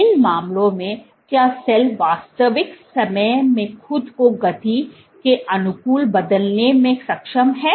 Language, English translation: Hindi, In these cases, does is the cell able to change itself adapt itself speed in real time